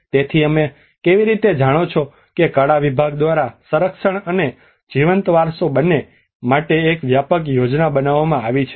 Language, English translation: Gujarati, So how you know the arts department have developed a comprehensive plan for both the conservation and the living heritage